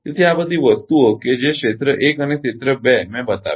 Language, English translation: Gujarati, So, all this things ah that area 1 and area 2 I showed